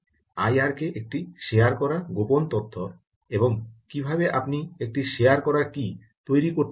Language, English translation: Bengali, i r k is a shared secret, and how do you generate a shared key